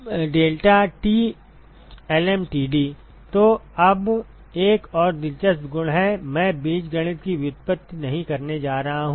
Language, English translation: Hindi, So, now there is another interesting property, I am not going to derive the algebra